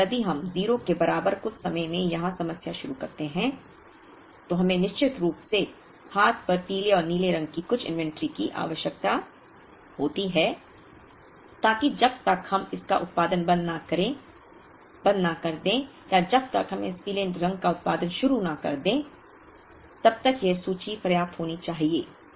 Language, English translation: Hindi, So, if we start the problem here at some time equal to 0, we definitely need some inventory of yellow and blue on hand so that by the time we stop producing this or by the time we start producing this yellow, that inventory should be enough to meet the demand of that period